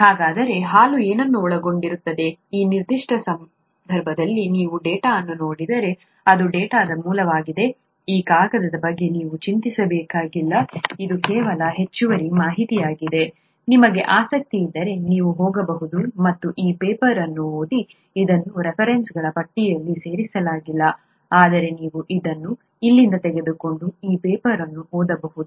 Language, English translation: Kannada, So what does milk consist of, if you look at the data in this particular case, this is the source of the data, you don’t have to worry about this paper is this just additional information, if you’re interested you can go and read this paper, it is not included in the list of references, but you could take it from here and read this paper